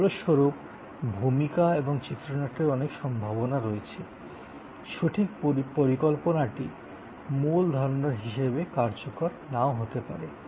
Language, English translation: Bengali, As a result, there are many possibilities of the role and the script, the exact plan may not play out has originally conceived